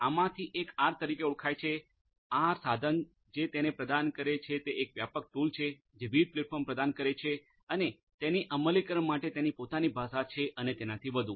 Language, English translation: Gujarati, One of these is popularly known as the R, the R tool which offers it is a comprehensive tool offering different platforms you know has its own language for implementation and so on